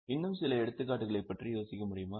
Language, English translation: Tamil, Can you think of some more examples